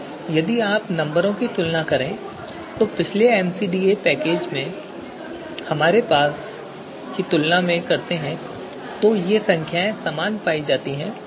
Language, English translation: Hindi, Now if you compare these numbers to what we had in the previous package so these numbers are same right